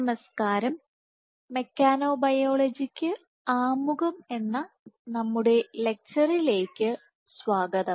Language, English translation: Malayalam, Hello, and welcome to our lecture of Introduction to Mechanobiology